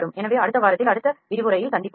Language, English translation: Tamil, So, let us meet in the next lecture in the next week